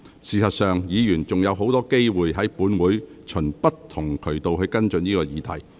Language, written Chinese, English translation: Cantonese, 事實上，議員仍然有很多機會，在本會循不同渠道跟進這個議題。, In fact Members still have many opportunities to follow up the issue through various channels in this Council